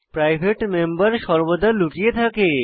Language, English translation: Bengali, private members are always hidden